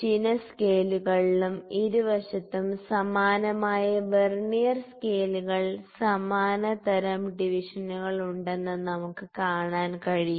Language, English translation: Malayalam, So, we can see that on both the scales on the vertical and the horizontal scales on both the sides, we have similar types of Vernier scales, similar types of divisions